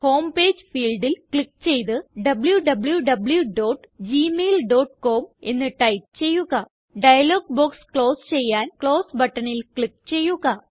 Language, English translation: Malayalam, Click on the Home Page field and type www.gmail.com Click on the Close button to close the dialog box